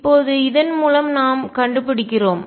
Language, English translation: Tamil, Now through this we find out